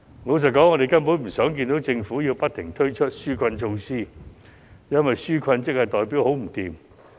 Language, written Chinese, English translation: Cantonese, 老實說，我們根本不想看到政府不停推出紓困措施，因為需要紓困代表市道很差。, To be honest we do not want to have unceasing relief measures because that suggests a poor business climate